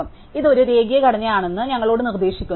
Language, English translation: Malayalam, So, this suggest to us that a linear structure